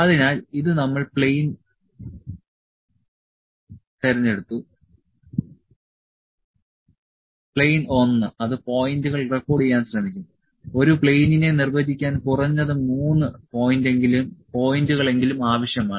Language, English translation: Malayalam, So, this we have selected plane; plane 1, it will try to record the points at least 3 points are required to define a plane